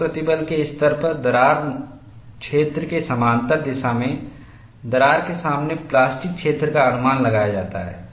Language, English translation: Hindi, At high stress levels, the plastic zone is projected in front of the crack in the direction parallel to the crack plane; that is what happens